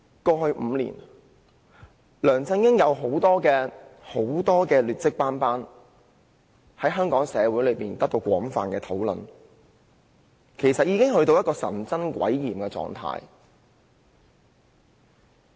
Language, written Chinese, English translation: Cantonese, 過去5年，梁振英的政績可謂劣跡斑斑，在社會上備受廣泛討論，已經到了神憎鬼厭的地步。, LEUNG Chun - ying has a deplorable track record in the past five years . He has been the subject of wide public discussion and is strongly detested